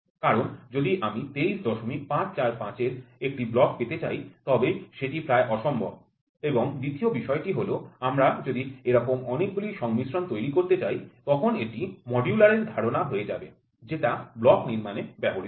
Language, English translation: Bengali, 545 getting a block of one block of this is next to possible and second thing if I want to build several of these combinations, then it is like a modular concept which is used in building up a block